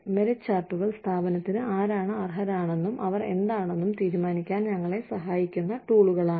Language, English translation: Malayalam, Merit charts are tools, that help us decide, who is worth, what to the organization